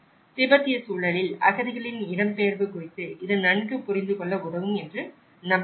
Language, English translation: Tamil, I hope this helps you a better understanding of the displacement of refugees in a Tibetan context